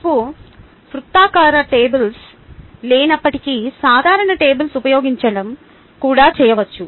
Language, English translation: Telugu, even if you dont have circular or tables, ah, using the regular tables also, this can be done